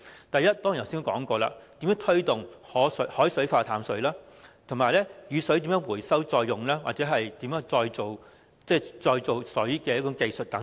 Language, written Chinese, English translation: Cantonese, 第一，正如我剛才所說，如何推動以海水化淡方式生產食水、如何回收雨水再用，或如何提升再造水的技術等。, The first area as I just said is to promote the use of seawater desalination technology . Other areas are storage and recycling of rainwater as well as enhancing the technology for reclaiming water